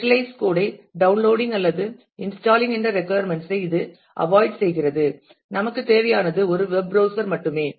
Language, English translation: Tamil, And it avoids the requirement of downloading or installing specialized code into that all that we need is just a web browser